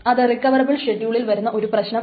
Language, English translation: Malayalam, That was in the recoverable schedule